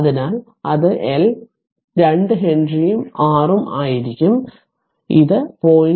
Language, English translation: Malayalam, So, it will be your it is L 2 Henry and it is R so it will be 0